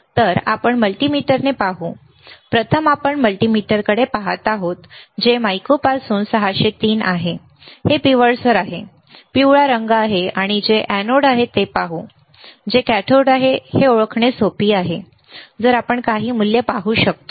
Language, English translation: Marathi, So, let us see with multimeter, first we are looking at the multimeter which is 603 from mico this is yellowish one, yellow colour and let us see the which is anode, which is cathode it is easy to identify if we can see some value yes, right